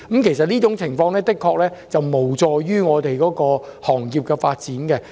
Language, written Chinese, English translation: Cantonese, 其實這種做法的確無助行業的發展。, Such a practice is unconducive to the development of the industry